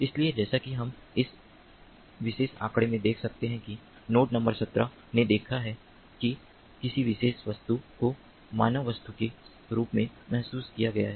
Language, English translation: Hindi, so, as we can see in this particular figure, that node number seventeen has seen, has sensed a particular object, the human object